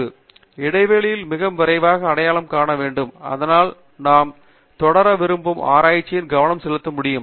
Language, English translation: Tamil, And, we must identify the gaps very quickly, so that we can focus on the research that we want to pursue